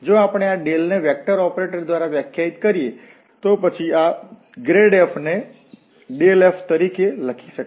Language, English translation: Gujarati, If we define this Del by this vector operator, then this grad f can be written as del f